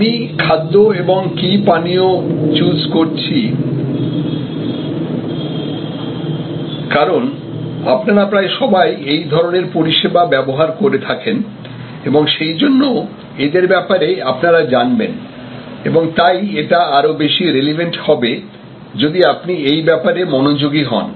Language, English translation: Bengali, I am choosing food and beverage, because most of you will be using such service time to time and so you will all be familiar, so it will become more relevant; if you apply your mind to it